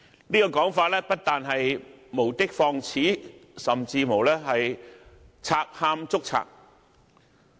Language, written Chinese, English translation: Cantonese, 這個說法不但是無的放矢，甚至是"賊喊捉賊"。, This allegation is not only unsubstantiated but even a case of a thief crying stop thief